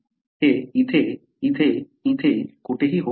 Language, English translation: Marathi, It can happen here, here, here, here, anywhere